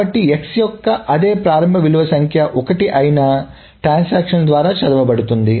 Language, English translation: Telugu, So the same initial value of X is being read by both the transactions